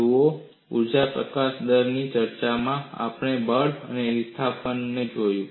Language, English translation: Gujarati, See, in the discussion of energy release rate, we have looked at the force and displacement